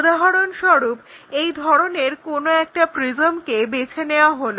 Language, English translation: Bengali, For example, if we are picking something like a prism maybe a box in that way